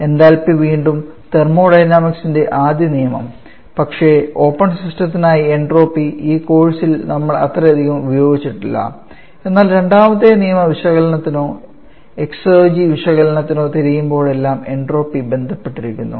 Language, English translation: Malayalam, Enthalpy again the application first law of thermodynamics, but for open system whereas enthalpy we have not sorry entropy we have not used entropy that much in this course, but entropy is associated whenever you are looking for a second law analysis or hexergy analysis